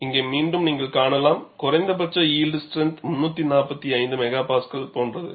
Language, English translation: Tamil, And here again, you find the minimum yield strength is something like 345 MPa